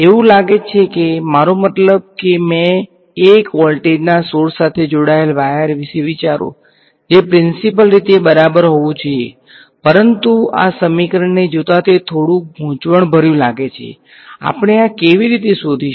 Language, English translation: Gujarati, It seems like, I mean think of a wire I connected to a 1 volt source, in principle that should be alright, but looking at this equation it seems a little confusing, how will we find this